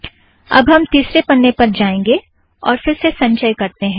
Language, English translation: Hindi, Now we go to third page, if I compile it once again